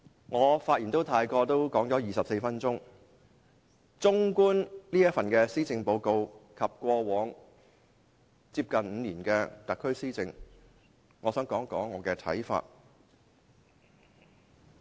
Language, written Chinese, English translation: Cantonese, 我發言至今已用了24分鐘，綜觀這份施政報告，以及特區政府過往近5年的施政，我想談談我的看法。, I have used 24 minutes of my speaking time by now . I would like to express my views on this Policy Address and the governance of the SAR Government in the past five years